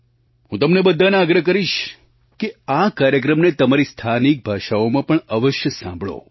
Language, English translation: Gujarati, I would request all of you also to kindly listen to this programme in your regional language as well